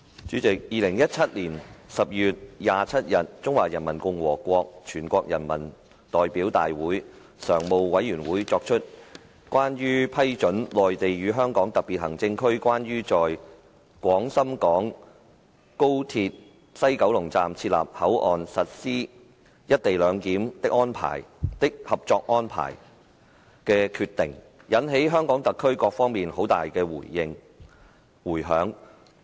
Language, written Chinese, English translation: Cantonese, 主席 ，2017 年12月27日，中華人民共和國全國人民代表大會常務委員會作出關於批准《內地與香港特別行政區關於在廣深港高鐵西九龍站設立口岸實施"一地兩檢"的合作安排》的決定，引起香港特區各方面很大迴響。, President on 27 December 2017 the Standing Committee of the National Peoples Congress NPCSC made the decision on the Co - operation Arrangement between the Mainland and the Hong Kong Special Administrative Region on the Establishment of the Port at the West Kowloon Station of the Guangzhou - Shenzhen - Hong Kong Express Rail Link for Implementing Co - location Arrangement inducing strong reactions from all fronts in SAR